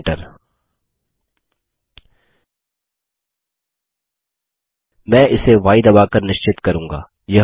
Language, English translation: Hindi, I will confirm this by entering y